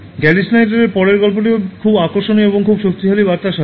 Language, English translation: Bengali, The next one from Gary Snyder is also very interesting and is with a very powerful message